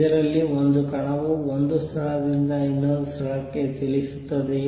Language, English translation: Kannada, Is it a particle moving from one place to the other